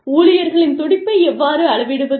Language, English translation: Tamil, How do you gauge, the pulse of the employees